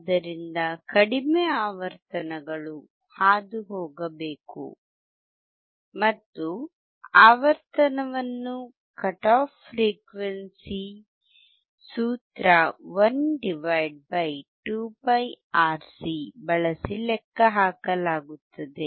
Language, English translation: Kannada, So, low frequencies should pass and the frequency is calculated using the cut off frequency formula 1 /